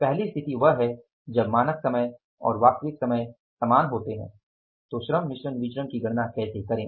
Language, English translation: Hindi, Second is that when the standard time and the actual time are same, how to calculate the labor mix variance